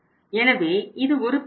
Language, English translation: Tamil, So this is the situation here